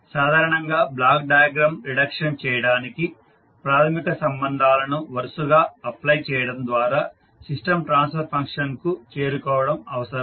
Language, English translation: Telugu, Generally, the block diagram reduction requires the successive application of fundamental relationships in order to arrive at the system transfer function